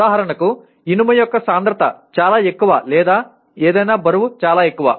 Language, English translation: Telugu, For example the density of iron is so much or the weight of something is so much